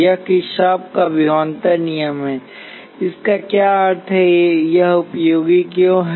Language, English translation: Hindi, This is Kirchhoff’s voltage law, what does this mean why this is useful